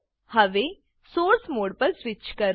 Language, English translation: Gujarati, Now switch to the Source mode